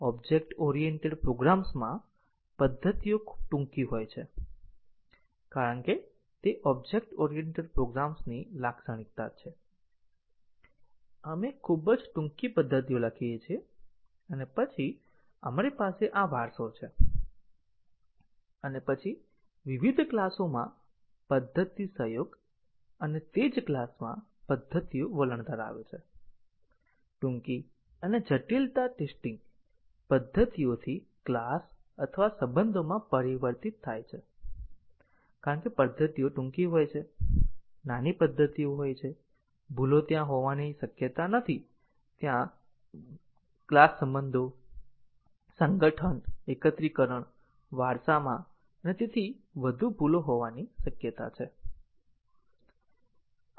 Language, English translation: Gujarati, In object oriented programs, the methods tend to be very short because that is the characteristic of object oriented programs, we write very short methods and then we have these inheritance and then method collaboration across different classes and in the same class the methods tend to be short and the complexity shifts from testing methods to class or relations because the methods are short, small methods, bugs are not very likely to be there the bugs are more likely to be there in the class relations association, aggregation, inheritance and so on